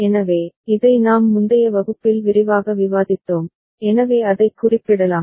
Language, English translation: Tamil, So, this we have discussed in detail in the previous class ok, so we can refer to that